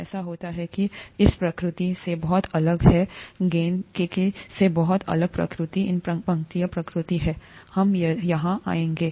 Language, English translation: Hindi, It so happens that the nature of this is very different from the nature, the nature of the ball is very different from the nature of these lines here, we will come to that